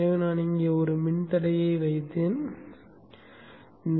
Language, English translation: Tamil, So let's say I put a resistance here